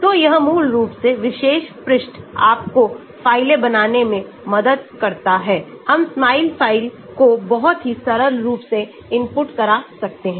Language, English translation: Hindi, so basically this particular page helps you to create files, we can input the Smile file very simple